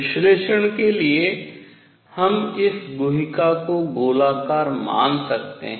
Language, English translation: Hindi, For analysis, we can take this cavity to be spherical